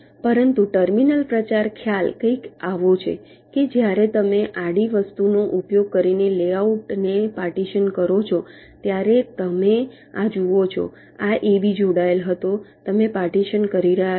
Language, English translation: Gujarati, but terminal propagation concept is something like this: that when you partition a layout using a horizontal thing, you see this: this ab was connected